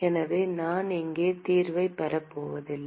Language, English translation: Tamil, So, I am not going to derive the solution here